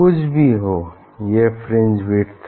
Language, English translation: Hindi, there is the fringe width